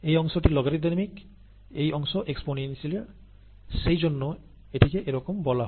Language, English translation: Bengali, Logarithmic in this form, exponential in this form, and that is the reason why it is called so